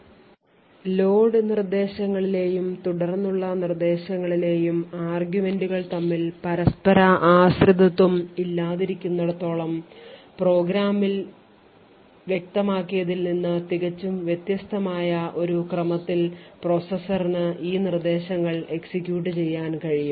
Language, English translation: Malayalam, So as long as the arguments in the load instructions and those of these subsequent instructions are independent it would be possible for the processor to actually execute these instructions in an order which is quite different from what is specified in the program